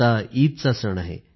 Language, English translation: Marathi, And now the festival of Eid is here